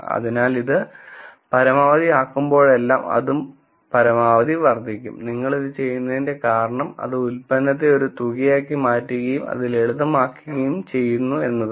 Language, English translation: Malayalam, So, whenever this is maximized that will also be maximized, the reason why you do this it makes the product into a sum makes it looks simple